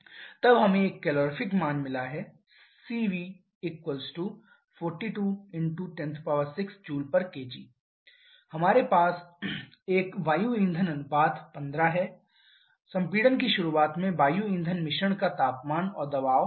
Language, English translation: Hindi, Then we have got a calorific value of 42 into 10 to the power 6 Joule per kg and we have an air fuel ratio 15 temperature and pressure of air fuel mix at the beginning of compression